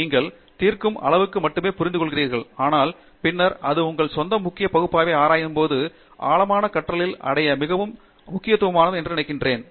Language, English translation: Tamil, You understand only to the extent that is necessary to solve but then, when it comes to your own core area of research, I think it is very important to achieve in depth learning